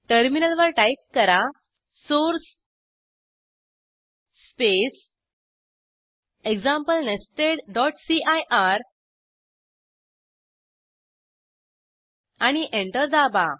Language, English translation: Marathi, On the terminal type source space example nested.cir and press Enter